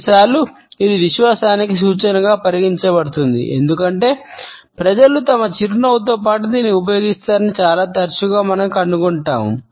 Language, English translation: Telugu, Sometimes it can be treated as an indication of confidence, because most often we find that people use it along with their smile